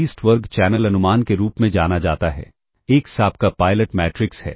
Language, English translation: Hindi, So, this is known as the least square channel estimate [vocalized noise] X is your pilot matrix